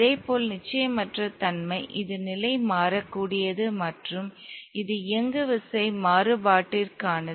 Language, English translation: Tamil, Likewise the uncertainty this is for the position variable and this is for the momentum variable